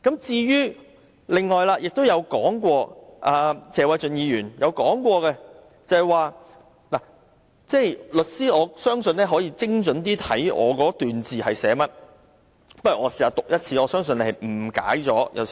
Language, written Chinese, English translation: Cantonese, 關於謝偉俊議員提出的論點，我相信律師可以精準理解我的文字，讓我把它讀出來，我相信他可能誤解了我的意思。, Regarding the point raised by Mr Paul TSE I always consider that a lawyer should be able to fully understand what I said . Let me read out what I have written for I think he may have misunderstood my meaning